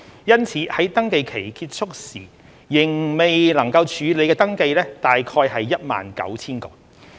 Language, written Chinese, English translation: Cantonese, 因此，在登記期結束時仍未能處理的登記約為 19,000 個。, As a result there were about 19 000 registrations that could not be processed when the registration period ended